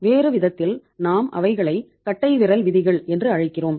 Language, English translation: Tamil, In other way around we call them the rules of thumb also